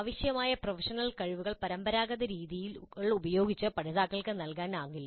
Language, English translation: Malayalam, The professional skills required cannot be really imparted to the learners using the traditional methods